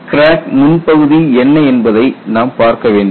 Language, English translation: Tamil, So, you have to look at what is the crack front